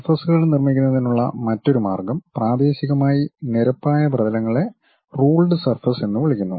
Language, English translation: Malayalam, The other way of constructing surfaces, it locally looks like plane surfaces are called ruled surfaces